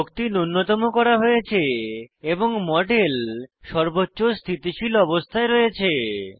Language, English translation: Bengali, Energy minimization is now done and the model is in the most stable conformation